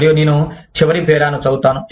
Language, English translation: Telugu, And, I will just read out the last paragraph